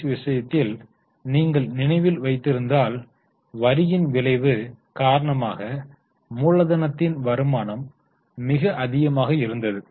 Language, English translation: Tamil, But in case of TCS if you remember, the return on capital was much higher because of the effect of tax